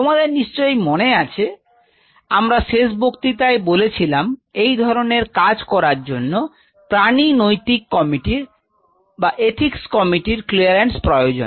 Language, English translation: Bengali, So, you remember in the last class I told you that you needed the animal ethics committee clearance